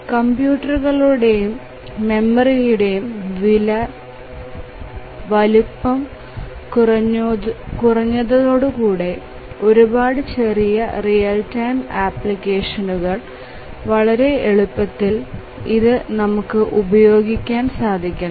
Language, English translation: Malayalam, The size of computers and memory have really reduced and that has enabled them to be used in very very small real time applications